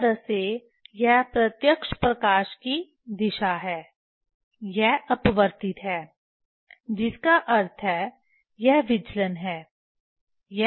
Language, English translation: Hindi, this way this is the direction of direct light this the refracted one this the deviation meaning this the deviation